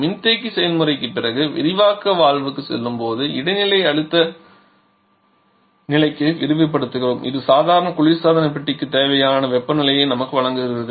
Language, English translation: Tamil, Here after the condensation process while passing to the expansion valve we expand to the intermediate pressure level which gives us the required temperature for the normal refrigerator